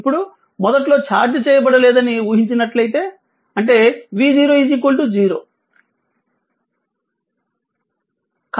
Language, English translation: Telugu, Now, if it is assuming that initially uncharged, that means V 0 is equal to 0